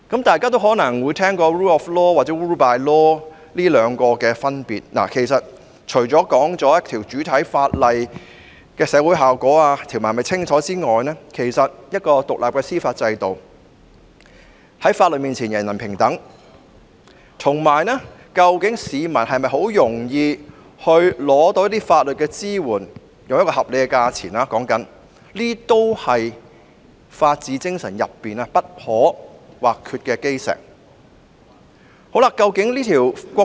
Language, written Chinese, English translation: Cantonese, 大家可能也聽過 rule of law 與 rule by law 的分別，其實，除了主體法例的社會效果、條文是否清晰外，司法制度是否獨立、法律面前是否人人平等，以及市民能否以合理價錢輕易取得法律支援等因素，也是法治精神中不可或缺的基石。, In fact apart from the social implications of primary legislations and the clarity of legal provisions factors such as an independent judicial system equality of all before the law and easy access of the public to affordable legal assistance etc are indispensable components of the rule of law spirit